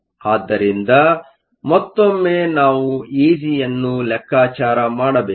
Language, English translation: Kannada, So, once again we have to calculate E g